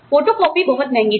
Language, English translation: Hindi, Photocopying was very expensive